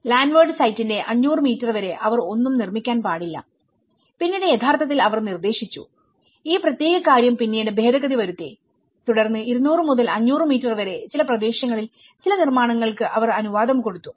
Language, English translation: Malayalam, Like as per the 500 meters of the landward site they should not construct anything and later also they have actually proposed that you know, you have to they have amended this particular thing later on and then they allowed to some areas 200 to 500 meters you can still permit some constructions